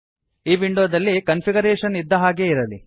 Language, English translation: Kannada, In this window, keep the default configuration